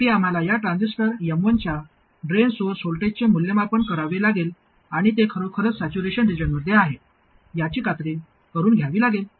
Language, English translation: Marathi, Finally we have to evaluate the drain source voltage of this transistor M1 and make sure that it is indeed in saturation region